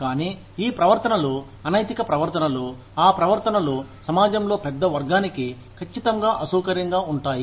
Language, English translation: Telugu, But, these behaviors are unethical behaviors, are those behaviors, which are definitely uncomfortable, for a large section of the society